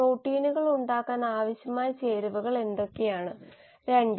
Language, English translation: Malayalam, What are the ingredients which are required to make the proteins and 2